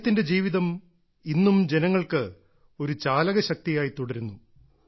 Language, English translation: Malayalam, His life remains an inspirational force for the people